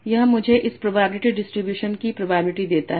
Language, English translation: Hindi, So what will be the probability of this getting this distribution